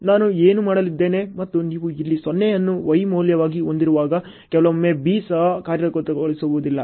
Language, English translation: Kannada, What I am going to do and when you are having 0’s here as a Y value sometimes the B does not even execute ok